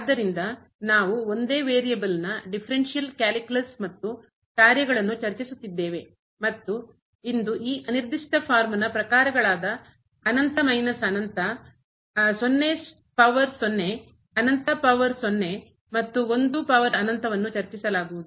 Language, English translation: Kannada, So, we are discussing differential calculus and functions of single variable, and today this indeterminate forms of the type infinity minus infinity 0 power 0 infinity power 0 and 1 power infinity will be discussed